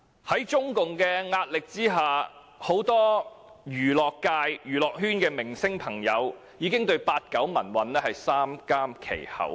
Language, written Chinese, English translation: Cantonese, 在中共施壓下，很多娛樂圈的明星朋友，不得不對八九民運三緘其口。, Under the pressure exerted by CPC many movie stars in show business cannot but keep their mouths shut about the 1989 pro - democracy movement